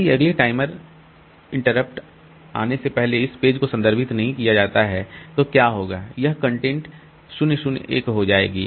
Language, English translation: Hindi, If this page is not referred in this before the next timer interrupt comes, then what will happen is this content will become 0